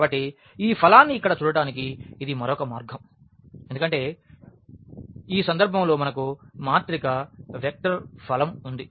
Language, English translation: Telugu, So, this is another way of looking at this product here because, in this case we had the matrix vector product